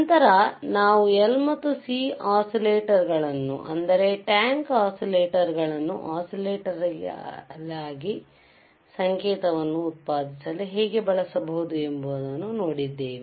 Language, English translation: Kannada, Then we have seen how the L and C oscillators, that is tank oscillators can be used for generating the signal oscillatory signal